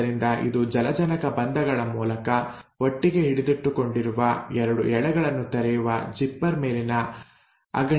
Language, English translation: Kannada, So it is like the clamp on the zipper which is just unzipping the 2 strands which are held together through hydrogen bonds